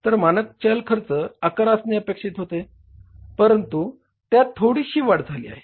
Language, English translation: Marathi, So, the standard variable cost was expected to be 11 but it has little increased